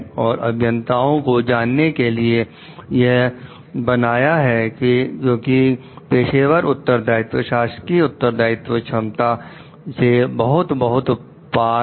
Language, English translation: Hindi, Also to make it known to the engineers because professional responsibility is much and much above the official respond ability